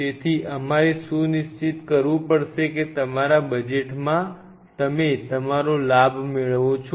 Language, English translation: Gujarati, So, we have to ensure that within your available budget you are playing your gain